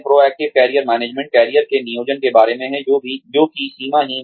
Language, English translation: Hindi, Proactive Career Management is, about planning for careers, that are boundaryless